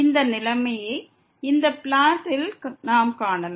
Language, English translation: Tamil, We can see the situation in this plot